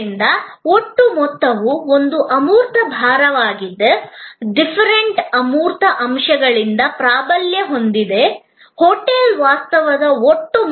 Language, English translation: Kannada, So, the totality is an intangible heavy, dominated by deferent intangible aspects, the totality of the hotel stay is therefore an experience